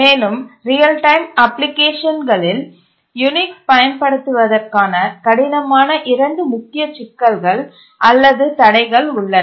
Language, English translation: Tamil, But then there are two issues that are the major obstacles in using Unix in a hard real time application